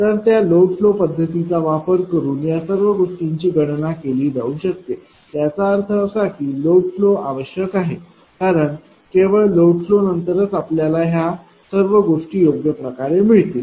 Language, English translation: Marathi, So, all this can be computed using that load flow technique; that means, that load flow is require because after load flow only you have to you will you have to gain you will get all this things right